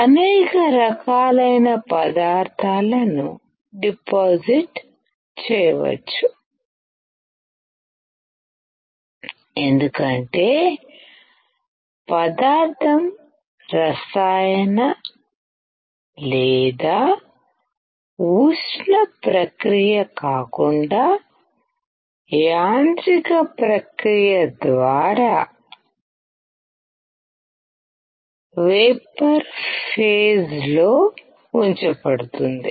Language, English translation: Telugu, A wide variety of materials can be deposited, because material is put into vapor phase by a mechanical rather than a chemical or thermal process